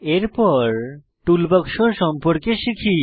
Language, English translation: Bengali, Next lets learn about Toolbox